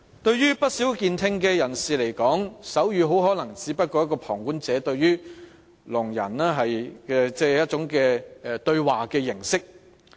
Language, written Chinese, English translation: Cantonese, 對不少旁觀的健聽人士而言，手語可能只是聾人的一種對話形式。, To many people with normal hearing sign language is perhaps only one way of conducting dialogues among the deaf